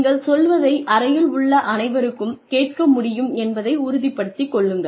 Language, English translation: Tamil, Then, make sure that, everybody in the room can hear, what you are saying